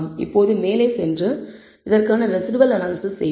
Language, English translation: Tamil, Now let us go ahead and do the residual analysis for this